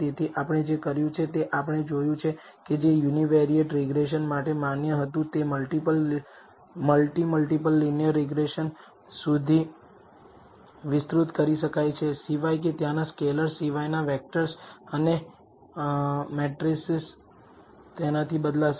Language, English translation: Gujarati, So, what we have done is we have seen that whatever was valid for the univariate regression can be extended to the multi multiple linear regression except that scalars there will get replaced by vectors and matrices corresponding